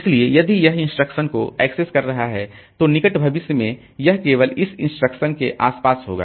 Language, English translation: Hindi, So, that is if it is accessing say this instruction, then in near future it will be around this instruction only